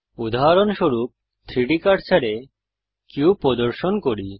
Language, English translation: Bengali, For example, let us snap the cube to the 3D cursor